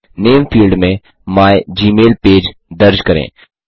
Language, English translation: Hindi, In the Name field, enter mygmailpage